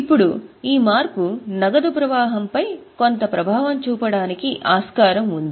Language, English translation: Telugu, Now this change is most likely to have some impact on cash flow